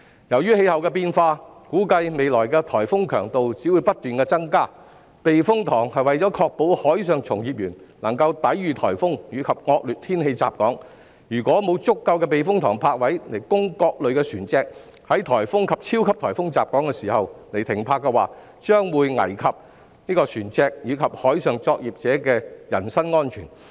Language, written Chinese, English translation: Cantonese, 由於氣候變化，估計未來的颱風強度只會不斷增加，避風塘是為了確保海上從業員能夠抵禦颱風及惡劣天氣襲港，如果沒有足夠的避風塘泊位供各類船隻在颱風及超級颱風襲港時停泊，將會危及船隻和海上作業者的安全。, Due to climate changes it is expected that the intensity of typhoons will only keep increasing in the future . Typhoon shelters are constructed to ensure that marine workers can protect themselves when typhoons and severe weather conditions affect Hong Kong . The safety of vessels and marine workers will be threatened if there are insufficient berthing spaces at typhoon shelters for various types of vessels to berth when typhoons and super typhoons hit Hong Kong